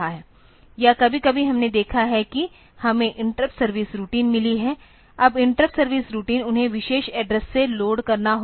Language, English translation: Hindi, Or sometimes we have seen that we have got interrupt service routines; now interrupt service routines they are they have to be loaded from the particular address